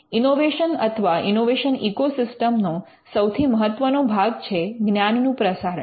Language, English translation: Gujarati, The most important part in innovation or in an innovation ecosystem is diffusion of knowledge